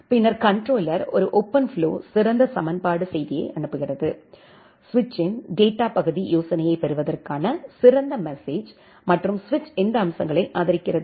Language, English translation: Tamil, Then the controller sends a OpenFlow featured equation message, the feature request message to get the data part idea of the switch and determine, what features are supported by the switch